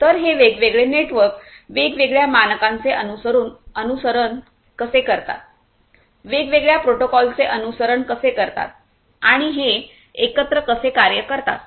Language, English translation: Marathi, So, how these different networks following different standards, following different you know protocols and so on how they are going to work hand in hand